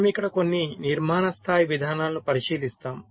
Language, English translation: Telugu, so we look at some of the architecture level approaches here